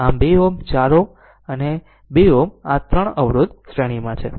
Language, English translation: Gujarati, So, 2 ohm 4 ohm and 2 ohm this 3 resistors are in series